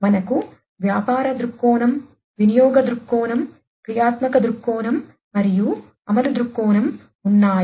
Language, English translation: Telugu, So, we have the business viewpoint, usage viewpoint, functional viewpoint and the implementation viewpoint